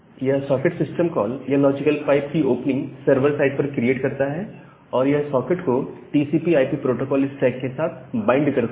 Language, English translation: Hindi, So, the socket system call, it will create the server side opening of the logical pipe and it will bind the socket with your TCP/IP protocol stack